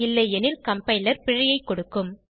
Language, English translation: Tamil, Otherwise the compiler will give an error